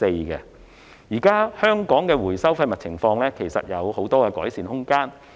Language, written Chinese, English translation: Cantonese, 現時，香港的廢物回收情況仍有很大改善空間。, At present there is still plenty of room for improvement in respect of waste recycling in Hong Kong